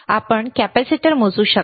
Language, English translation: Marathi, Can you measure capacitor